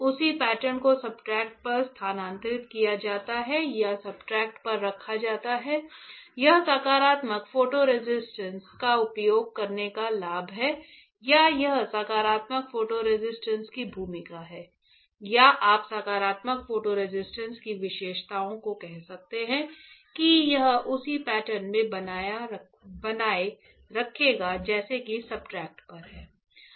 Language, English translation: Hindi, The same pattern is transferred or is retained onto the substrate onto the substrate that is the; that is the advantage of using positive photo resist or that is the role of positive photo resist or you can say characteristics of positive photo resist that it will retain the same pattern as on the substrate right say